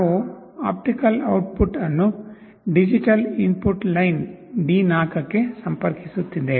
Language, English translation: Kannada, The optical output we are connecting to digital input line D4